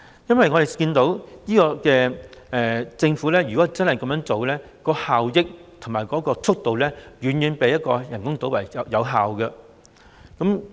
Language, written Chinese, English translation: Cantonese, 我們看到政府如真的這樣做，無論是效益和建屋速度都遠較人工島計劃為佳。, We believe that if the Government moves in this direction the efficiency and speed of housing construction will be far better than those on the artificial island plan